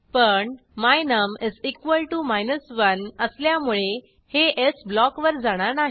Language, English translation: Marathi, But since the value of my num = 1 it will not proceed to the else block